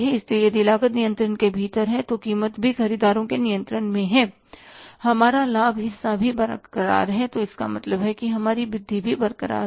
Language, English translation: Hindi, So if the cost is within the control,, prices also within the control of the buyers, our margin is also intact